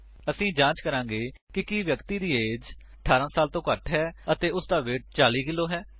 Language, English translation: Punjabi, We shall check if the person is below 18yrs of age and is at least 40kgs